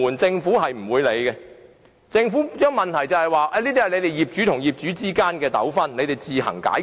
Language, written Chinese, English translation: Cantonese, 政府不會處理，只會說這是業主與業主之間的糾紛，可自行解決。, The Government will not handle the complaints only saying they are disputes among owners which can be resolved on their own